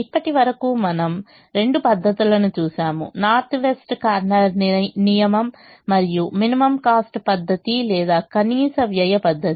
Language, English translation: Telugu, so far we have seen two methods: the north west corner rule and the least cost method or minimum cost method